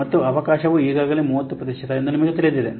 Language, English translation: Kannada, And you know the chance is already 30 percent